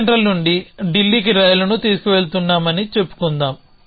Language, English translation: Telugu, And that let us say that action is taking a train from Chennai central to Delhi